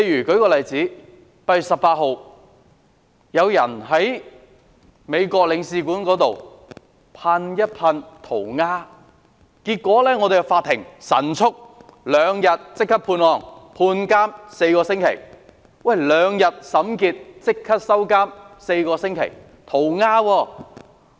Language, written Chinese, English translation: Cantonese, 舉例說 ，8 月18日，有人在美國領事館那裏塗鴉，結果法庭兩天內極速處理此案，犯事者被判監4星期。, An example is the case in which a person sprayed graffiti at the Consulate General of the United States on 18 August . Eventually the court dealt with the case swiftly within two days with the offender sentenced to four weeks imprisonment